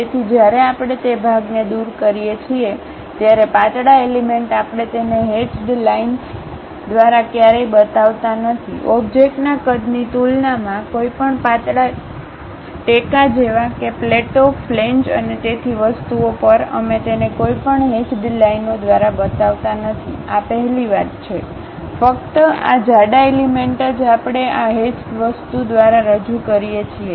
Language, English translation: Gujarati, So, when we are removing that part, the thin elements we never show it by hatched lines; compared to the object size, any thin supports like plates, flanges and so on things, we do not show it by any hatched lines, this is a first convention Only thick elements we represent it by this hatch thing